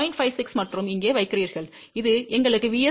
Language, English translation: Tamil, 56 and here and that would give us the value of VSWR equal to 3